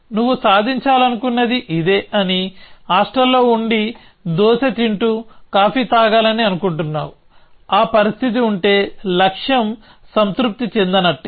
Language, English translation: Telugu, You say that this is what you want to achieve, you want to be in the hostel and you want to be eating dosa and having some coffee and if that is a situation, then the goal is satisfied